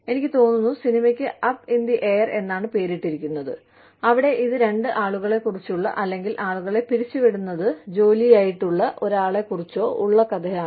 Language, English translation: Malayalam, I think, the movie is called, Up in The Air, where it is a story about two people, who are, or, about one person, whose job is to, lay off people